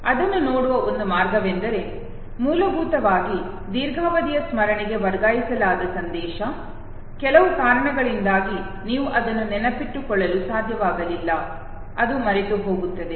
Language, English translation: Kannada, One way of looking at it could of course be that, basically the message that has been transferred to the long term memory, for certain reason you have not been able to recollect it, which results into forgetting